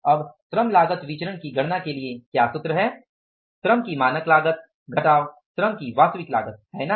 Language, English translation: Hindi, This is the formula, standard cost of labor minus the actual cost of the labor